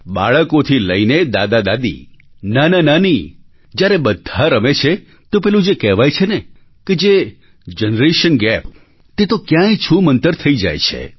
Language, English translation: Gujarati, From tiny tots to GrandfatherGrandmother, when we all play these games together then the term 'Generation Gap' disappears on its own